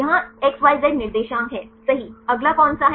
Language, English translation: Hindi, Here right XYZ coordinates, what is the next one